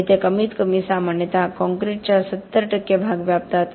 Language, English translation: Marathi, And they occupy 70 percent at least usually of the concrete by volume